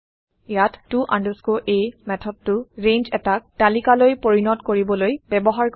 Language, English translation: Assamese, Here to a method is used to convert a range to a list